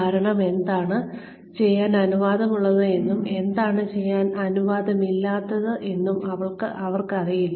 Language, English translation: Malayalam, Because, they do not know, what they are allowed to do, and what they are not allowed to do